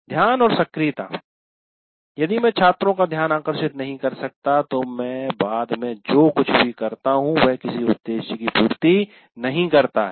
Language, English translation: Hindi, As we already mentioned, attention, if I can't get the attention of the students, whatever that I do subsequently, it doesn't serve any purpose